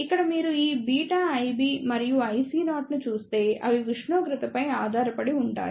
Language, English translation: Telugu, Here, if you see this beta I B and I CO, they are temperature dependent